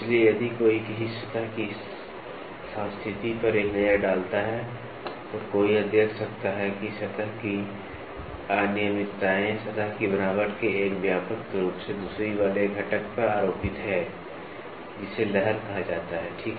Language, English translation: Hindi, So, if one takes a look at the topology of a surface, one can notice it that surface irregularities are superimposed on a widely spaced component of surface texture called waviness, ok